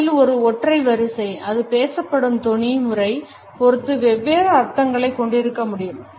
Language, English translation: Tamil, A single sequence of words can have different meanings depending on the tone pattern with which it is spoken